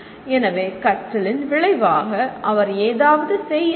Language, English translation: Tamil, So as a consequence of learning, he has to perform